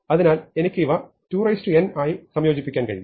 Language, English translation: Malayalam, So, I can combine these as 2 to the n